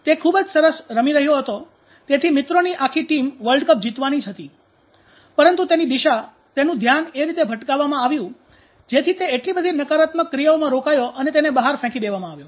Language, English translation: Gujarati, He was playing exceptional so well the whole friends team was in the charge of winning the world cup but his direction his focus was diverted in such a way engaged in so negative actions and he was thrown out